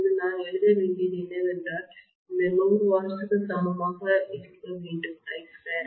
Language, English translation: Tamil, Now what I have to write is this 100 watts should be equal to IC square RC, okay